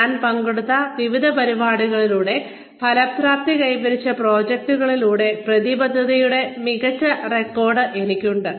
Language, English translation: Malayalam, I have an excellent record of commitment, through the various student activities, I have participated in, or through the various, which is exhibited, through the projects, have taken to fruition, etcetera